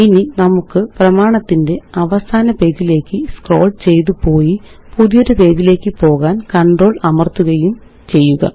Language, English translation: Malayalam, Now let us scroll to the last page of the document and press Control Enter to go to a new page